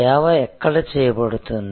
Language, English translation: Telugu, Where is the service